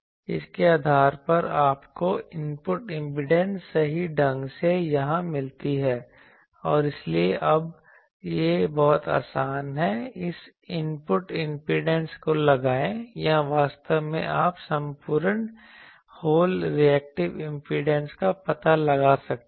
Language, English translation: Hindi, So, you get the input impedance correctly here and so, now, it is very easy to the put the this input impedance or actually you can find the whole reactive impedance